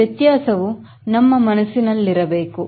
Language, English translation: Kannada, so these distinction should be in our mind